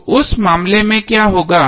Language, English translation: Hindi, So what will happen in that case